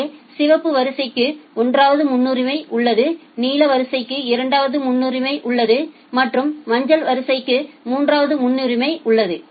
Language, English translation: Tamil, So, say the red queue has a priority of 1, the blue queue has a priority of 2, and the yellow queue has a priority of 3